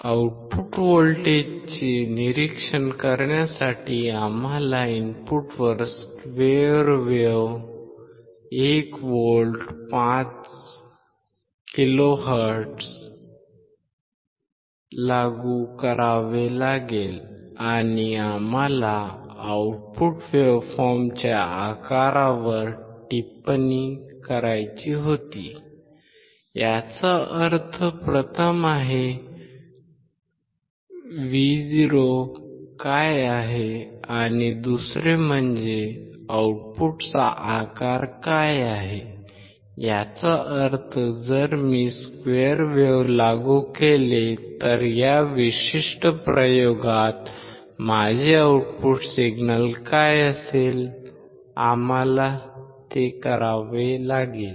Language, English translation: Marathi, We apply square wave 1 volt right; 5 kilohertz at the input we had to observe the output voltage and we had to comment on the shape of the output waveform; that means, first is: what is Vo; and second is: what is the shape of the output; that means, if I apply square wave what will be may output signal alright at this particular experiment we had to perform